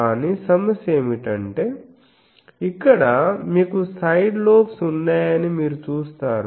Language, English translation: Telugu, But if you, but the problem is you see that here you have side lobes etc